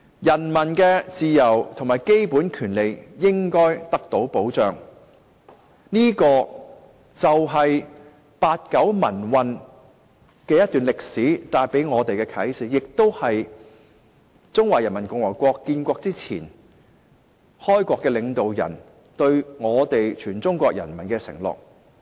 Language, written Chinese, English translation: Cantonese, 人民的自由和基本權利應該得到保障，這便是八九民運這段歷史帶給我們的啟示，亦是中華人民共和國建國前，開國領導人對全中國人民的承諾。, Peoples freedom and basic rights should be protected . This is the lesson we learn from the history of the pro - democracy movement in 1989 . This is also the undertaking made by the founding father of PRC to all people in China